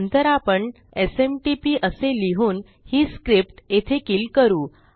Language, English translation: Marathi, Next Ill say SMTP and that can just kill the script there